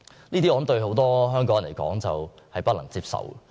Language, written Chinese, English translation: Cantonese, 我相信這對很多香港人來說均屬不能接受。, I believe this is unacceptable to many Hong Kong people